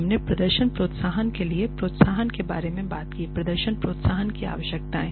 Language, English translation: Hindi, We talked about incentives for performance incentives the requirements of performance incentives